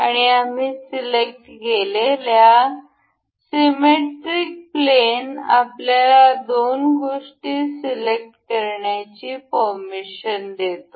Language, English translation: Marathi, And we will select the symmetric plane allows us to select two items over here